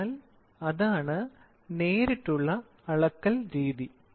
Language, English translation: Malayalam, So, that is direct measurement